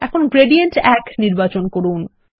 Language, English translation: Bengali, Now select Gradient1